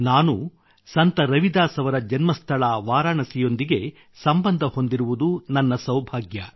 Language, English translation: Kannada, It's my good fortune that I am connected with Varanasi, the birth place of Sant Ravidas ji